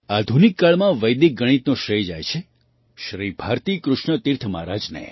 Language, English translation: Gujarati, The credit of Vedic mathematics in modern times goes to Shri Bharati Krishna Tirtha Ji Maharaj